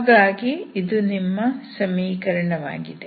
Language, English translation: Kannada, So this is your equation